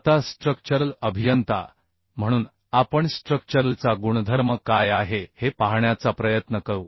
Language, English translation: Marathi, Now, being a structural engineer, we will try to see what is the property of uhh structural steel